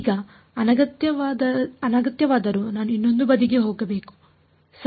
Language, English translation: Kannada, Now whatever is unwanted I should move to the other side right